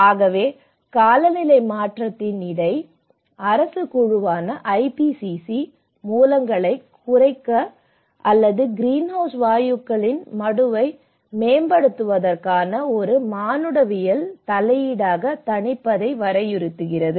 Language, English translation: Tamil, So, the IPCC which is the Intergovernmental Panel on Climate Change defines mitigation as an anthropogenic intervention to reduce the sources or enhance the sinks of greenhouse gases